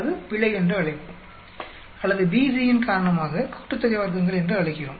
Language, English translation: Tamil, That will either we call it error or we call it sum of squares due to BC